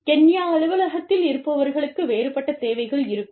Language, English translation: Tamil, People sitting in one office, and say, Kenya, will have a different set of needs